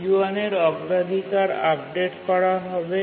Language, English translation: Bengali, And also the priority of T1 is updated